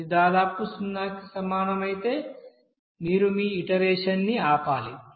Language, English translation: Telugu, And if it is coming almost equals to 0 then you have to stop your iteration